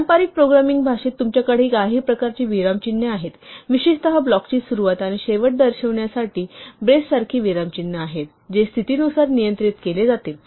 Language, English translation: Marathi, In a conventional programming language, you would have some kind of punctuation typically something like a brace to indicate the beginning and the end of the block, which is governed by the condition